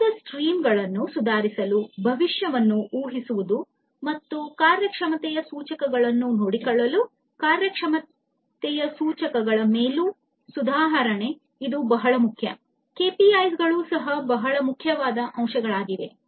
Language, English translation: Kannada, So, all of these are very important improving the value streams is important, predicting the future, and taking care of the performance indicators improving upon the performance indicators, the KPIs this is also a very important aspect